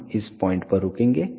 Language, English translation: Hindi, We will stop at this point